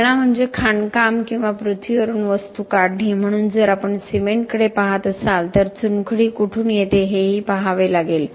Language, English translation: Marathi, The cradle is the mining or the extraction of the material from the earth so if we are looking at cement we have to look at where the limestone comes from